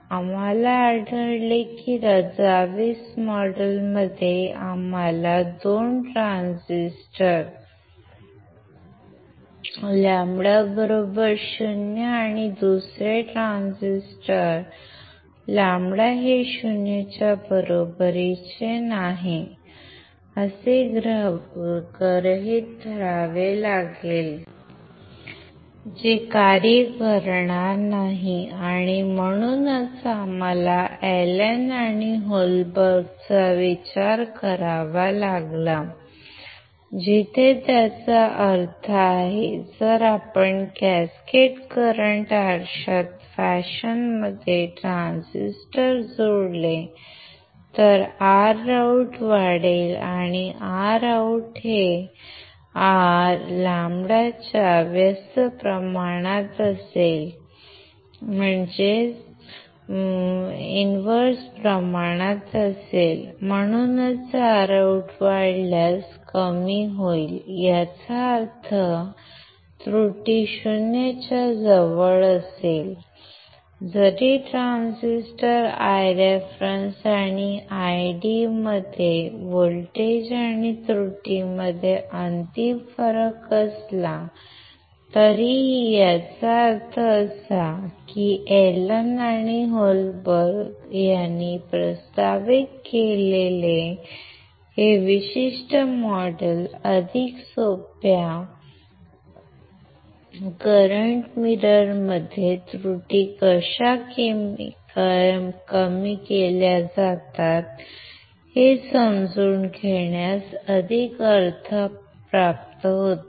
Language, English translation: Marathi, We found that the in the Razavis model, we had to assume 2 transistor lambda equals to 0, another 2 transistor lambda is not equals to 0, which will not work, and that is why we had to consider Allen and Holberg where it make sense that if you if you attach transistors in the fashion in the cascaded current mirror, then your R OUT will increase, and since R OUT is inverse proportional to lambda, that is why your lambda will decrease if R OUT is increased; which means, your error would be close to 0, even if there is a final difference between your voltage and error across the transistors I reference and Io; that means, that this particular model which is proposed by Allen and Holberg makes more sense to understand, how the errors are reduced in the simplest current mirror right